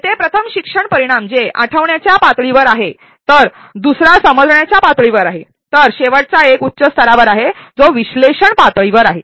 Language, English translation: Marathi, The first learning outcome here that are recall level while the second one is at the understand level and the last one is at a higher level that is analyse level